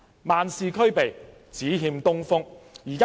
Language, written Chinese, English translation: Cantonese, 萬事俱備，只欠東風。, Everything is ready except one thing